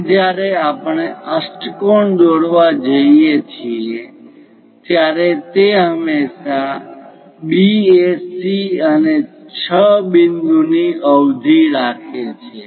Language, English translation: Gujarati, Now, when we are going to construct an octagon it is always B circumscribing A, C and 6 point